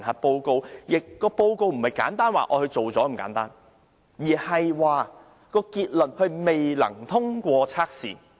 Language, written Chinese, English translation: Cantonese, 再者，評核報告並非簡單說她已完成署任，而是說她未能通過測試。, Moreover the appraisal did not simply say that she has finished the appointment but that she has failed the test